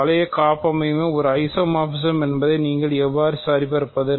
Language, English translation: Tamil, How do you verify that a given ring homomorphism is an isomorphism